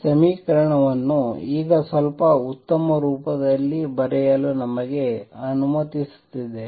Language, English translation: Kannada, Lets us write this equation in a slightly better form now